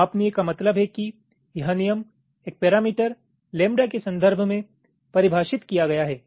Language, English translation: Hindi, scalable means this rules are defined in terms of a parameter, lambda, like, lets say